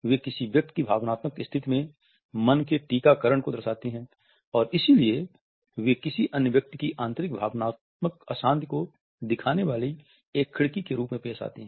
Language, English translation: Hindi, They reflect the vaccinations of the mind in a persons emotional state and therefore, they offer as a window to their internal emotional turbulence of another person